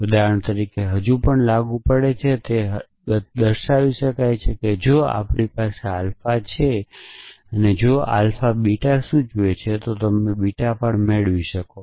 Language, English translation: Gujarati, So, for example, still applies it still says the same thing that if we have alpha, if we have alpha implies beta, then you can derive beta